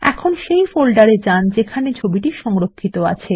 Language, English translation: Bengali, Now lets go to the folder where the image is located